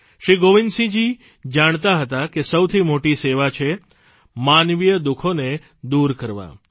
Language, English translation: Gujarati, Shri Gobind Singh Ji believed that the biggest service is to alleviate human suffering